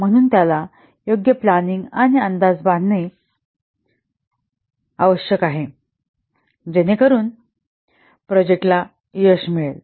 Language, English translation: Marathi, So he has to do proper planning and estimation so that the project might get success